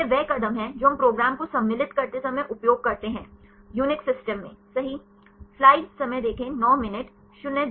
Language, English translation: Hindi, This is the steps we use when compelling the program right; in the UNIX systems